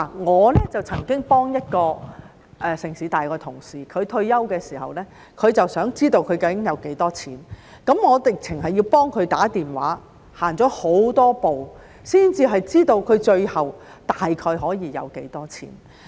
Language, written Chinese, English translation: Cantonese, 我曾幫助一位香港城市大學的同事，他在退休的時候想知道他究竟有多少錢，我甚至要替他致電查詢，走了很多步才知道他最後大概可以有多少錢。, Will some hotlines be provided in this connection? . I once assisted a colleague in the City University of Hong Kong who wanted to know how much money he would have upon retirement . I even had to call the company to make enquiries for him and it was after taking a lot of steps that we could find out around how much he would eventually have